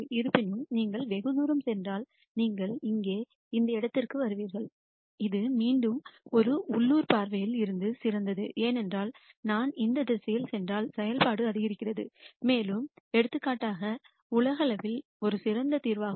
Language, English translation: Tamil, However, if you go far away then you will get to this point here which again from a local viewpoint is the best because if I go in this direction the function increases and if I go in this direction also the function increases, and in this particular example it also turns out that globally this is the best solution